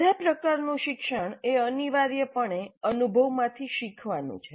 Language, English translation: Gujarati, All learning is essentially learning from experience